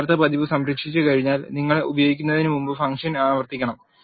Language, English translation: Malayalam, Once you save the original version also you have to invoke the function before you use